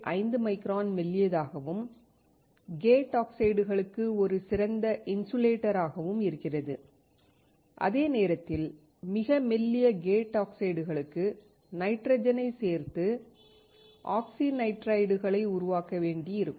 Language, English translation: Tamil, 5 micron thin and is an excellent insulator for gate oxides, while for very thin gate oxides, we may have to add the nitrogen to form oxynitrides